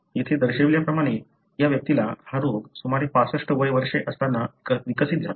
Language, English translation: Marathi, As shown here, this individual developed the disease that around 65 years